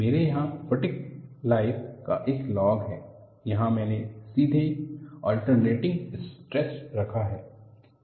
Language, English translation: Hindi, I have log of fatigue life here; here I directly put the alternating stress